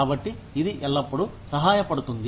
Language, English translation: Telugu, So, that always helps